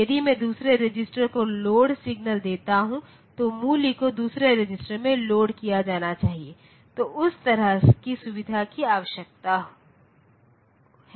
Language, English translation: Hindi, If I give load signal to the second register then the value should be loaded in the second register, so that sort of facility is needed